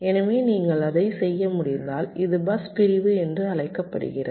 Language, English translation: Tamil, so, if you can do that, this is called bus segmentation